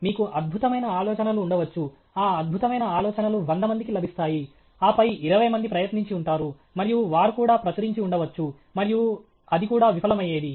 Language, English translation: Telugu, You may have brilliant ideas; that brilliant ideas hundred people would have got, and then twenty people would have tried, and they might have even published, and it would have also been a failure